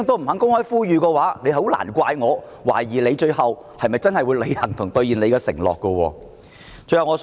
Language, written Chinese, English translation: Cantonese, 如果他這樣也不敢，也難怪我懷疑他最後會否真的履行承諾。, If he dares not do so then I have every reason to doubt whether he will actually honour his undertaking